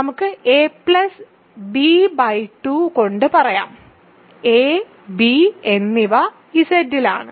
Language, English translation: Malayalam, So, let us say a plus b by 2, a and b are in Z ok